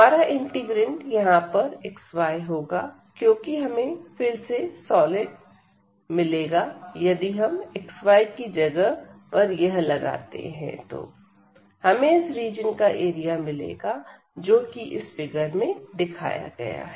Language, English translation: Hindi, So, for dx and the dy will be the outer one the integrand now will be xy because we are going to get the solid if we put this instead of xy 1 again we will get the area of this region, which is shown in the figure